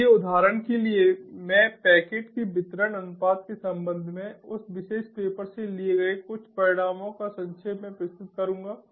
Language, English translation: Hindi, so i will just present very briefly some of the results i have taken from that particular paper, for example with respect to the packet delivery ratio